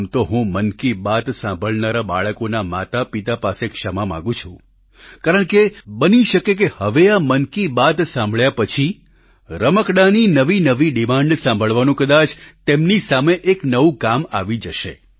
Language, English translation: Gujarati, By the way, I apologize to the parents, listening to 'Mann Ki Baat', as, after this, they might face an additional task of hearing out new demands for toys